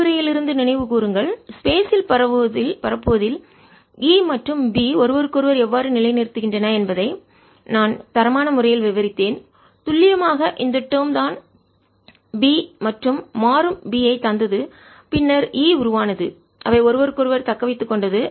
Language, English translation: Tamil, recall from the lecture where i qualitatively described how e and b sustain each other in propagating space, it was precisely this term that gave rise to b and changing b then gave rise to e and they sustain each other